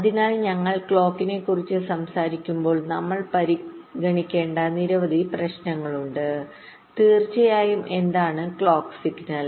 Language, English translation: Malayalam, so when we talk about clock, there are a number of issues that we need to consider, of course